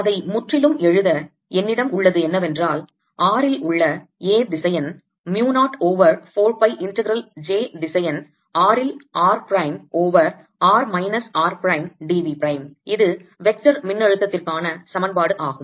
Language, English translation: Tamil, to write it altogether, what i have is then: a vector at r is given as mu naught over four pi integral j vector r at r prime over r minus r prime d v prime